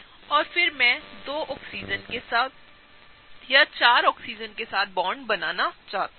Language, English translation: Hindi, And then I wanted to bond with the 2 Oxygen or rather 4 of the Oxygen’s